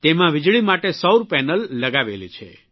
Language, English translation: Gujarati, It has solar panels too for electricity